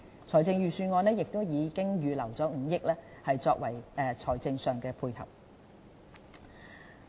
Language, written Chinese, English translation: Cantonese, 財政預算案已預留5億元作為財政上的配合。, A provision of 500 million has been set aside in the Budget as financial support